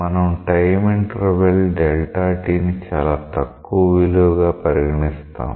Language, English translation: Telugu, We are considering the time interval delta t to be very small